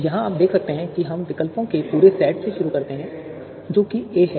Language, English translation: Hindi, So here you can see we start with the complete set of alternatives that is A